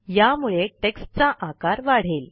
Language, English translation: Marathi, This will make the text bigger